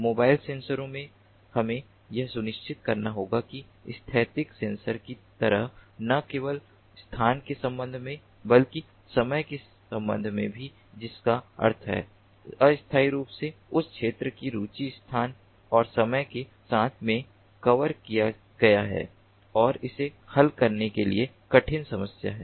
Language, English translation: Hindi, in mobile sensors we have to ensure that with respect to not only space, as in static sensor, but also with respect to time that means spatio, temporally that region of interest is covered with respect to space and time, and that is in harder problem to solve